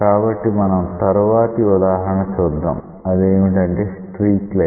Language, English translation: Telugu, So, we will see the next example that is called as a streak line